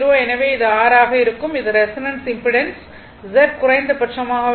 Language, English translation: Tamil, So, it will be R, thus at the resonance impedance Z is minimum